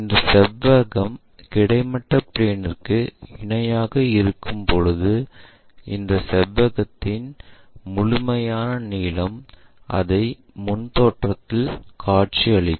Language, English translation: Tamil, When this rectangle is parallel to horizontal plane, the complete length of this rectangle one can visualize it in the front view